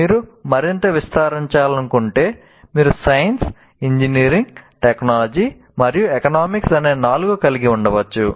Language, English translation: Telugu, And if you want to again expand, you can have four science, engineering, technology, and I can call it economics